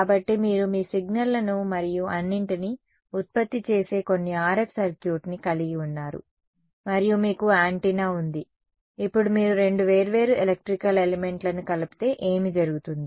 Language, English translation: Telugu, So, you have some RF circuit which generates your signals and all and you have an antenna, now when you combine two different electrical elements what will happen